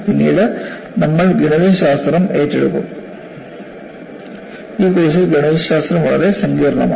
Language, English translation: Malayalam, Later we will take up mathematics and mathematics is quite complex in this course